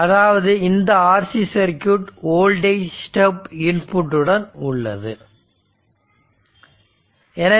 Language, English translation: Tamil, So that means, that an RC circuit with voltage step input right